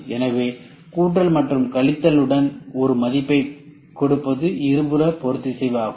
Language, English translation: Tamil, So, plus and minus you try to give a value that is called as bilateral